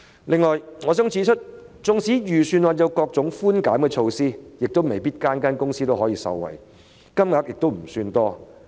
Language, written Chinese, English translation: Cantonese, 此外，我想指出，即使預算案有各種寬減措施，但未必每間公司都能夠受惠，而且金額亦不算多。, In addition I would like to point out that despite the introduction of various concessionary measures in the Budget it is not sure whether every company can benefit and the amounts involved are not that large